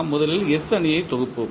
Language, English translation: Tamil, We will first compile the S matrix